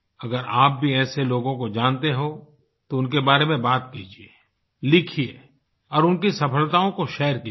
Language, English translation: Hindi, If you too know of any such individual, speak and write about them and share their accomplishments